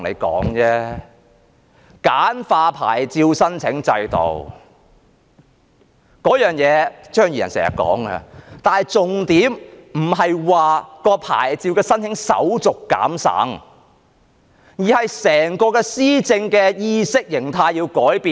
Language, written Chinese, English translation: Cantonese, 簡化牌照申請制度，這一點張宇人議員經常掛在嘴邊，但重點不是減省牌照申請手續，而是改變整個施政的意識形態。, Mr Tommy CHEUNG often says that the licence application system should be simplified . But the point is not streamlining the licence application procedures but changing the whole mentality of the administration